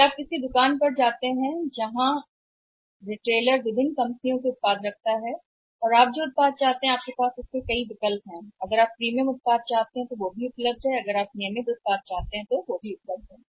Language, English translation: Hindi, If you go to a shop where at a retailer is having the products of different companies and you have number there you can have a choice that this product you want to have you can have you do not have a premium product that is also available you want to have the regular product that is also available